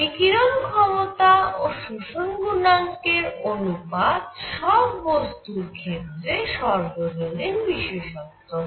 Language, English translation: Bengali, It is ratio of emissive power to absorption coefficient for all bodies, it has that universal property